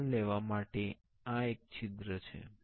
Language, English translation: Gujarati, And there is a hole for taking the out